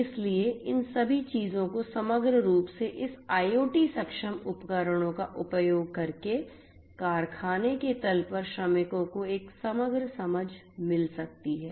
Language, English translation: Hindi, So, all of these things holistically the workers on the factory floor using this IoT enabled devices can get a holistic understanding